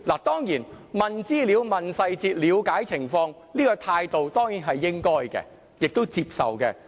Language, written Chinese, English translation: Cantonese, 當然，詢問資料、詢問細節、了解情況，這種態度是應該的，亦都應被接受。, Of course this attitude of asking for information asking for details and understanding the situation is proper and should be acceptable